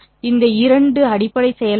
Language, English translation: Tamil, These two are the basis functions